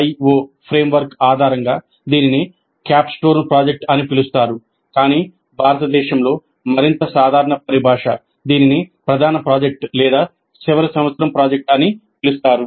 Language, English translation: Telugu, The CDIO framework generally calls this as a capstone project, but in India the more common terminology is to simply call it as the main project or final year project